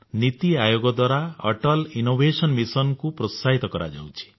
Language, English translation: Odia, This Mission is being promoted by the Niti Aayog